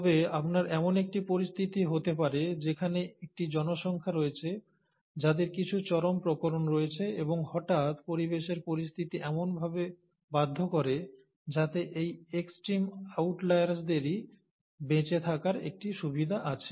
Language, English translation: Bengali, But then, you can have a situation where you still have a population with these kind of display where you have some extreme variations and suddenly, the environmental conditions force in such a fashion that it is this set of extreme outliers which have a survival advantage